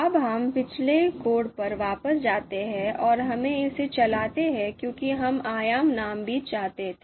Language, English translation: Hindi, Now let us go back to the previous code and let us run this because we wanted to have the dimension names as well